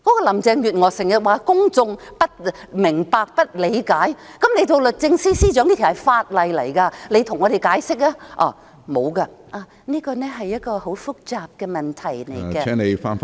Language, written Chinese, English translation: Cantonese, 林鄭月娥經常說公眾不明白、不理解，那她身為律政司司長，好應該向我們解釋這法例，但她沒有，只說這是一個很複雜的問題......, Carrie LAM often said that the public do not understand and appreciate . So as the Secretary for Justice she should have explained this legislation to us but she had not done so . She only said that it was a very complicated issue